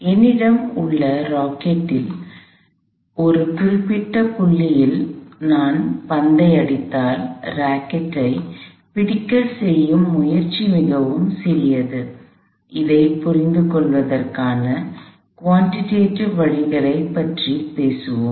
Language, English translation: Tamil, Let say, I have a rocket and there is a point on this rocket at which if I hit the ball, the effort involved in holding the rocket is very small, we will talk about more quantitative ways of understanding this